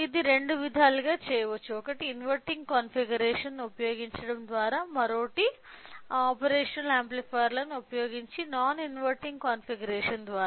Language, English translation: Telugu, So, this can be done in two ways – one by using inverting configuration and other one is non inverting configuration using operational amplifiers